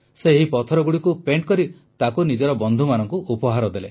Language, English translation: Odia, After painting these stones, she started gifting them to her friends